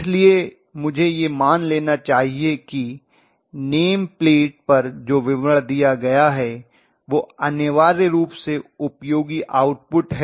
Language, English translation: Hindi, So I should assume that the name plate details are given that is essentially useful output